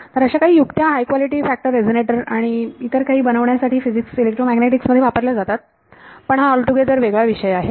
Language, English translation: Marathi, So, all of these things are tricks used in physics electromagnetics to make high quality factor resonators and so on, but that is a separate topic